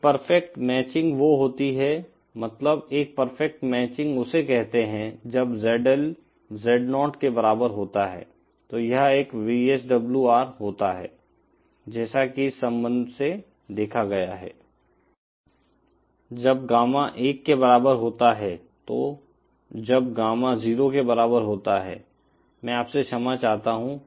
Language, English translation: Hindi, A perfect matching corresponds, that is a perfect matching refers to when the ZL is equal to Z0, then that corresponds to a VSWR of one as seen from this relationship, that is when Gamma is equal to 1, so when Gamma is equal to 0, I beg your pardon